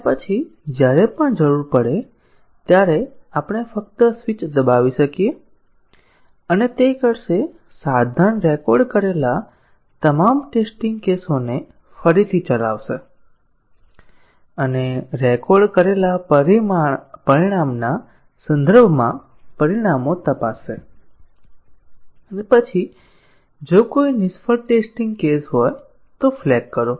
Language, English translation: Gujarati, And then, whenever needed we can just press the switch and it will, the tool will rerun all the test cases which were recorded and check the results with respect to the recorded result and then, flag if any failed test cases are there